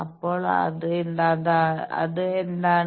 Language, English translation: Malayalam, So, what is that